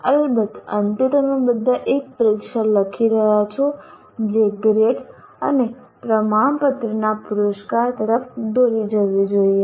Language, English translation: Gujarati, Of course, in the end, all of you will be writing an examination which should lead to the award of a grade and certificate